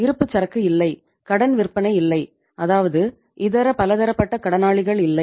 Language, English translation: Tamil, There is no inventory, there is no credit sales means sundry debtors